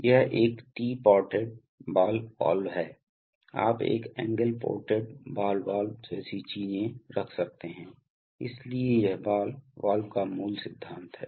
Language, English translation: Hindi, This is a tea ported ball valve, you can have an angle ported ball valve and things like that, so this is the basic principle of ball valves